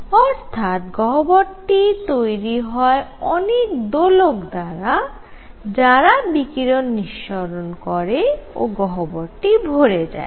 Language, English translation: Bengali, So, a cavity is made up of oscillators giving out radiation, so that all this radiation fills up the cavity